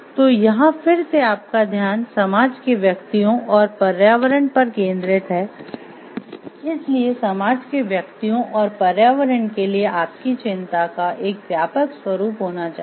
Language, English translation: Hindi, So, here again your focus is on the society individuals and the environment, so you have focus of like broadens towards the general concern for the society individuals and the environment